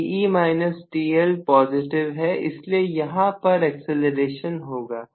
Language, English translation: Hindi, Te minus T L is positive because of it there will be acceleration